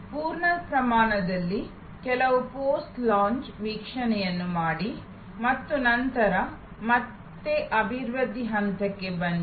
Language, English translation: Kannada, In full scale, do some post launch view and then, again come to the development stage